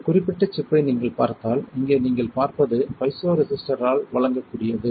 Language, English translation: Tamil, And if you see this particular chip then you, here what you see is what the piezoresistor can deliver